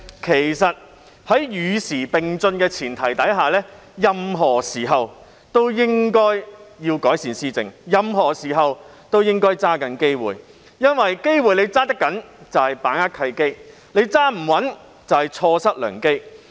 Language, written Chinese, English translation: Cantonese, 其實，在與時並進的前提下，政府任何時候都應該改善施政，任何時候都應該抓緊機會，因為能抓得緊機會即把握契機，抓不緊機會即錯失良機。, Actually on the premise of keeping abreast with the times the Government should always improve governance and should always grasp the chance of doing it . After all success in doing it represents an opportunity seized whereas failure to do it stands for an opportunity missed